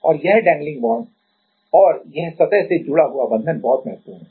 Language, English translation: Hindi, And this dangling bonds and this surface connected bonds are very much important